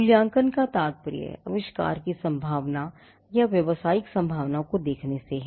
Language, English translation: Hindi, The evaluation refers to looking at the prospect or the commercial prospect of the invention